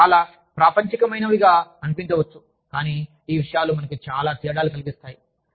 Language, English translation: Telugu, They may seem very mundane, but these things make, so much of a difference, to us